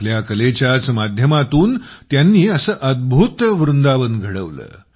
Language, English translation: Marathi, Making her art a medium, she set up a marvelous Vrindavan